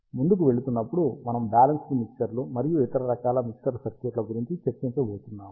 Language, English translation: Telugu, Going forward, we are going to discuss balanced mixers and other types of mixer circuits